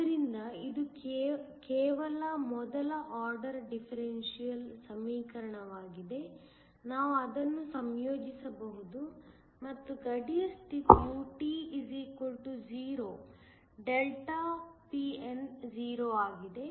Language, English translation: Kannada, So, this is just a first order differential equation, we can integrate it and the boundary condition is, at time t = 0 ΔPn is 0